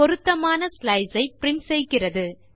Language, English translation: Tamil, It prints the corresponding slice